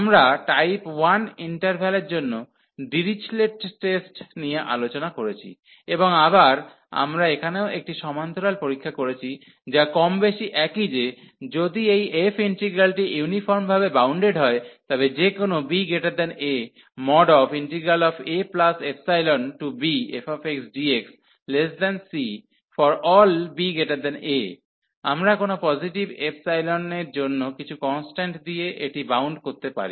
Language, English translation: Bengali, There was another Dirichlet’s test for type 1 interval we have discussed, and again we have a parallel test here also, which is more or less the same that if this f integral is uniformly bounded that means for any b here greater than a, we can bound this by some constant for any epsilon positive